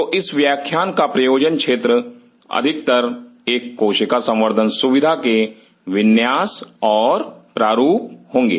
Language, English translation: Hindi, So, the thrust area of this lecture will be mostly layout and design of a cell culture facility